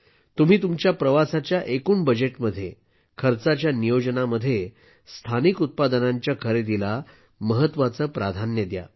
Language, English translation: Marathi, In the overall budget of your travel itinerary, do include purchasing local products as an important priority